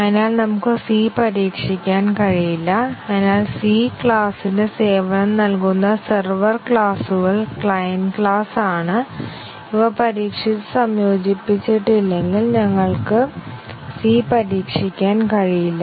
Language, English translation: Malayalam, So, the server classes which provides service to the class C, C is the client class unless these have been tested and integrated, we cannot test C